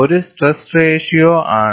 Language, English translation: Malayalam, R is a stress ratio